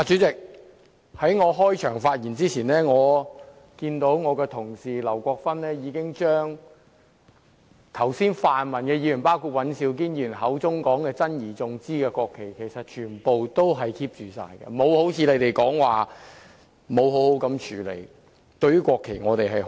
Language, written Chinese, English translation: Cantonese, 主席，在我開始發言前，我看到我的同事劉國勳議員已將剛才泛民議員包括尹兆堅議員口中珍而重之的國旗全部妥為存放，並非如你們所說般沒有妥善處理。, President before making further remarks I must say I saw that all the national flags which Members from the pan - democratic camp including Mr Andrew WAN said just now that they highly treasured were kept well by my Honourable colleague Mr LAU Kwok - fan . We have not handled them improperly as claimed by you people